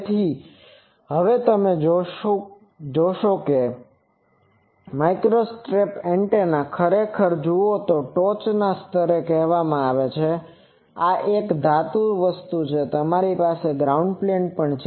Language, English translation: Gujarati, So, but we will now see if you look at this microstrip antenna actually this top layer is called patch this is a metallic thing, also you have the ground plane